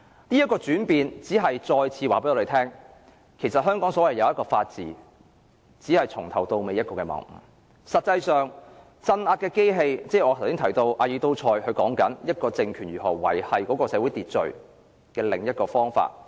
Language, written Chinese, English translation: Cantonese, 當中的轉變只是再次告訴我們，其實香港所謂的法治，從頭到尾都只是謬誤，實際上政府用的是鎮壓的機器，即我剛才提到阿爾都塞所說，一個政權如何維持社會秩序的另一個方法。, The change in the attitude of the Police Force reinforces the point that Hong Kongs upholding the rule of law is utterly a misconception . Hong Kong is rather under the control of RSA the other apparatus to maintain social order aside ideology control in ALTHUSSERs theory